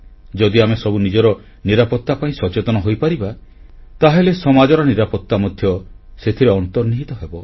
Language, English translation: Odia, If all of us become conscious and aware of our own safety, the essence of safety of society will be inbuilt